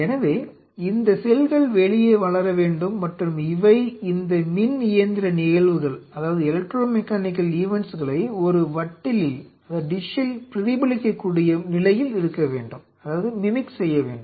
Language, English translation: Tamil, So, for these cells if they have to grow outside, and they should be in a position which should be able to mimic these electromechanical events in a dish